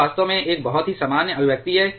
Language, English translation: Hindi, This is a very general expressions actually